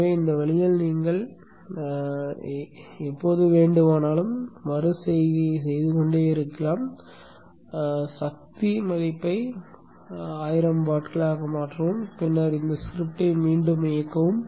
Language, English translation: Tamil, So this way you can keep doing the iterations any number of time, change the power value, make it 1000 watts, and then read on the script